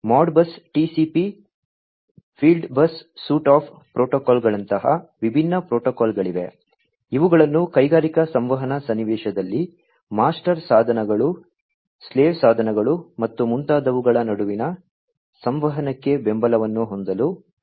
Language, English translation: Kannada, And there are different protocols such as the Modbus TCP the fieldbus suite of protocols etcetera etcetera, which have been proposed in order to have support for communication between master devices, slave devices, and so on in an industrial communication scenario